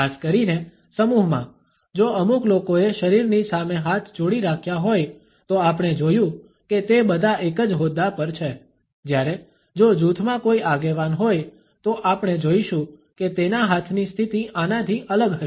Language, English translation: Gujarati, Particularly in a group if a couple of people have held their hands clenched in front of the body, we find that all of them are on the same footing whereas, if there is a leader in the group we would find that his hand position would be different from this